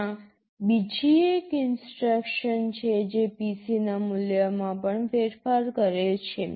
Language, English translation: Gujarati, There is another kind of an instruction that also changes the value of PC